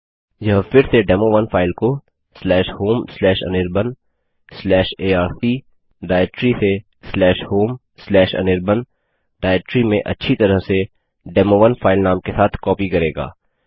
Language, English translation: Hindi, This will again copy the file demo1 presenting the /home/anirban/arc/ directory to /home/anirban directory to a file whose name will be demo1 as well